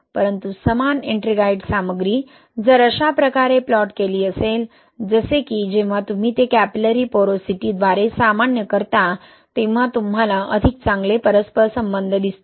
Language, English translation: Marathi, But same Ettringite content if it is plotted this way, like when you normalize it by capillary porosity, you see better correlation right